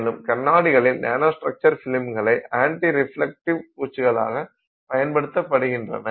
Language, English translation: Tamil, Also recently people have started doing nanostructured films for anti reflective coatings on glasses